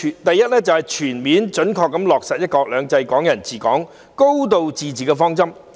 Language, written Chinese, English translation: Cantonese, 第一，全面準確落實"一國兩制"、"港人治港"、"高度自治"的方針。, The first principle is to fully and faithfully implement the policy of one country two systems under which the people of Hong Kong administer Hong Kong with a high degree of autonomy